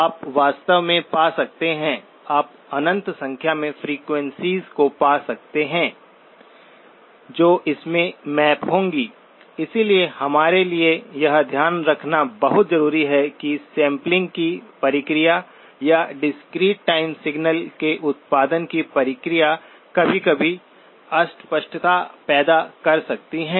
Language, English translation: Hindi, You can find, in fact, you can find infinite number of frequencies which will map into the; so it is very important for us to keep in mind that the process of sampling or the process of producing a discrete time signal sometimes can produce ambiguities